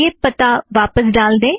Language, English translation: Hindi, Let us put the address back